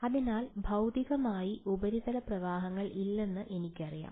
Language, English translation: Malayalam, So, I know that physically there are no surface currents